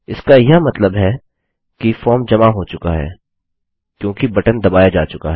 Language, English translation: Hindi, That would just mean that the form has been submitted because the button has been pressed